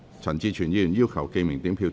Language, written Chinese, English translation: Cantonese, 陳志全議員要求點名表決。, Mr CHAN Chi - chuen has claimed a division